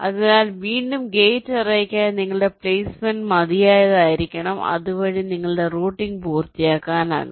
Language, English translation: Malayalam, so again for gate array, your placement should be good enough so that your routing can be completed